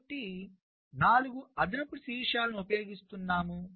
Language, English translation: Telugu, so we are using four additional vertices